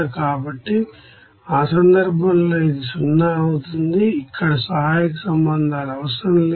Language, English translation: Telugu, So, in that case it will be 0, no auxiliary relations are required here